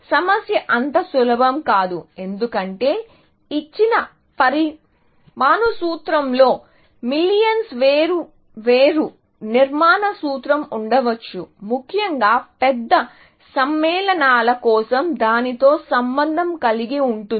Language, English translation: Telugu, The problem is not so simple, because a given molecular formula may have millions of different structural formula, associated with it, essentially, for larger compounds, obviously